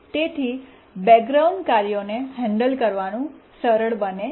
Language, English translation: Gujarati, So, handling background tasks is simple